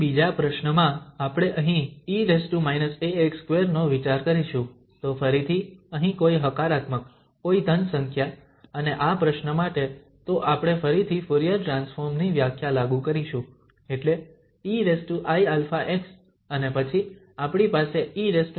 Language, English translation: Gujarati, In another problem, we will consider here e power minus a x square, so a is again here something positive, some positive number and for this problem so we will again apply the definition of the Fourier transform, that means e power i alpha x and then we have e power minus a x square dx